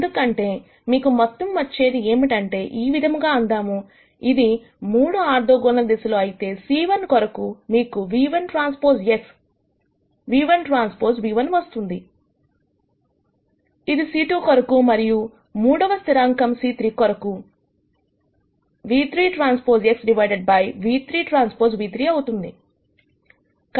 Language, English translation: Telugu, Because all you will get if let us say it is 3 orthogonal directions then you will get nu 1 transpose X nu 1 transpose nu 1 for c 1, this is for c 2 and nu 3 transpose X divided by nu 3 transpose nu 3 for the third constant c 3